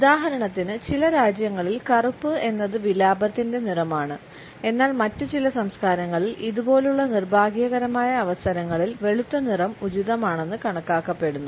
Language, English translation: Malayalam, For example in certain countries black is the color of mourning whereas, in certain other cultures it is considered to be the white which is appropriate during these unfortunate occasions